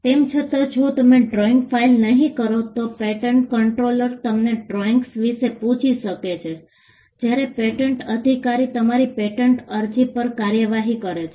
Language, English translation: Gujarati, Even if you do not file the drawings, the patent controller can ask for drawings, when the patent officer is prosecuting your patent application